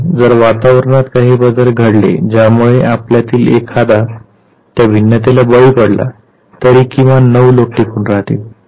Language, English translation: Marathi, And if there is a variation in the environment which makes one of us succumb to that variation at least 9 would survive